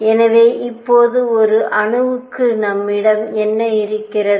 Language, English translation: Tamil, So, what do we have for an atom now